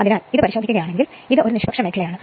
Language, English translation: Malayalam, So, if you look into this is your, this is your neutral zone